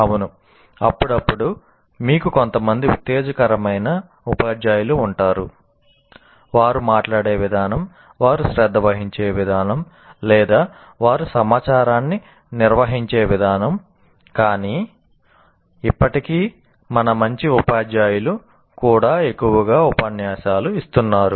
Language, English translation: Telugu, Yes, occasionally you will have some inspiring teachers the way they speak, possibly the way they care or the way they organize information, but still even our good teachers are mostly lecturing